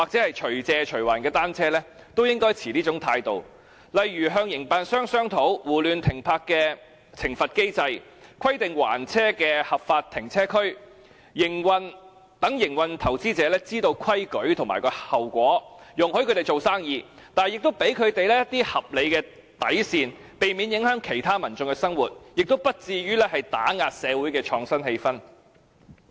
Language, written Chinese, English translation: Cantonese, 例如，當局應與營辦商商討，訂立胡亂停泊的懲罰機制，規定還車的合法停車區，讓營辦者知道規矩和後果，容許他們做生意，但亦給他們一些合理的底線，避免影響其他民眾的生活，亦不至於打壓社會的創新氣氛。, For example the authorities should discuss with the operators and establish a penalty regime for indiscriminate parking stipulate areas for lawful return of bicycles so that operators know the rules and consequences of non - compliance and allow them to do business while setting some reasonable bottom lines so as not to affect other peoples daily life and discourage the innovative spirit in society